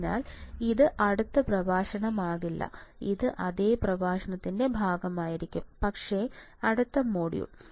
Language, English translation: Malayalam, So, this is not and this will not be next lecture it will be part of the same lecture, but a next module